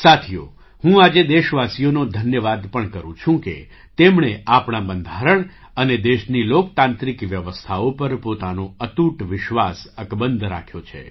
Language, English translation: Gujarati, Friends, today I also thank the countrymen for having reiterated their unwavering faith in our Constitution and the democratic systems of the country